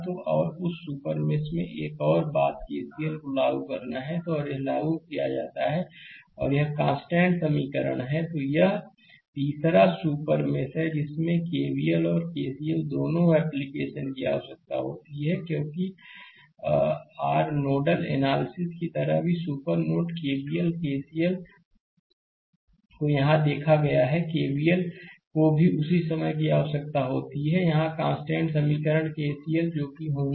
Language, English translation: Hindi, So, and that and another thing is in the super mesh you have to apply KCL and that is applied and this is the constant equation right, let me clear it and the third one is super mesh require the application of both KVL and KCL because like your nodal analysis also we have seen super node KVL and KCL here also KVL is required at the same time the constant equation here is KCL, right that is must, right